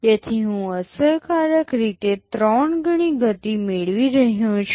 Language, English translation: Gujarati, So, I am getting a 3 times speed up effectively